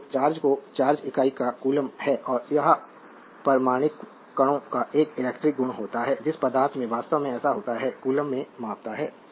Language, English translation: Hindi, So, charge unit of charge is a coulomb and it is an electrical property of the atomic particles of which matter actually consist so, measure in coulomb